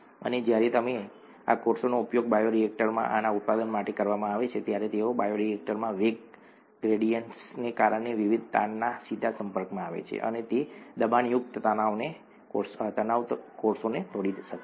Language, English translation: Gujarati, And when you, when these cells are used in the bioreactor for production of these, they have, they are directly exposed to the various stresses because of the velocity gradients in the bioreactor and those shear stresses can break the cells apart